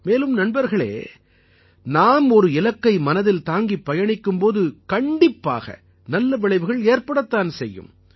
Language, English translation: Tamil, And friends, when we set out with a goal, it is certain that we achieve the results